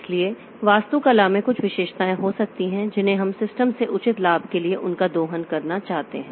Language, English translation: Hindi, So, architecture may have some features we want to exploit them for proper benefit from the system